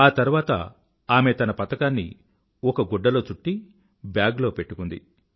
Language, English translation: Telugu, After that, she wrapped a cloth around the medal & kept it in a bag